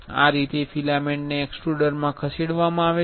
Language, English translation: Gujarati, This is how filament are fed into the extruder